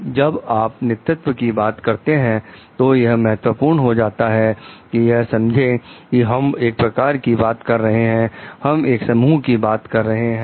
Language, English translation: Hindi, So, when you are talking of leadership, it is important to understand like we are talking of an influence, we are talking of a group